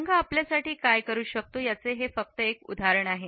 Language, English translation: Marathi, This is just one example of what one color can do for you